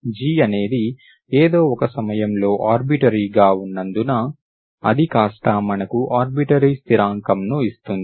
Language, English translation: Telugu, G is, since G is arbitrary at a some point, it becomes a constant, so it gives an arbitrary constant, arbitrary constant